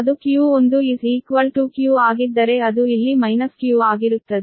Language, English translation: Kannada, if it is q, then here it will be minus q